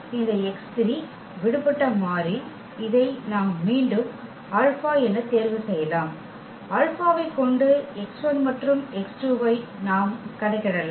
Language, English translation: Tamil, So, this x 3 is the free variable which we can choose again as as alpha; having that alpha we can compute the x 1 and x 2 in terms of of alpha